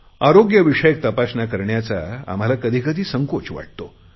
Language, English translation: Marathi, Sometimes we are reluctant to get our medical checkup done